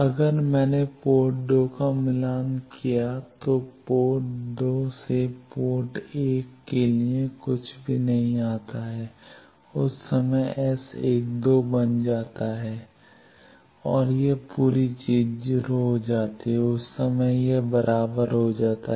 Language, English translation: Hindi, If I matched port 2 nothing comes from port 2 to port 1 that time s12 become 0 and this whole thing become 0 that time it becomes equal